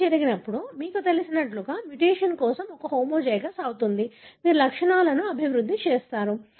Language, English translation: Telugu, When it happens, you become, you know, a homozygous for the mutation, therefore you develop symptoms